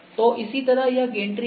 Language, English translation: Hindi, So, similarly we have gantry